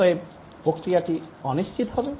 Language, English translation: Bengali, Therefore, the process is unpredictable